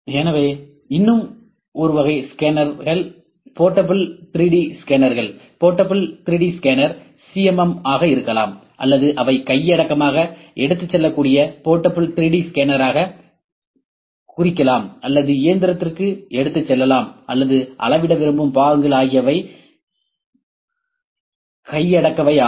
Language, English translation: Tamil, So, one more type of scanner is portable 3D scanner, portable 3D scanner can be either CMM or they meant as a portable 3D scanner anything that can be held in hand and taken to the machine or the component that will lead like to measure is would be called as portable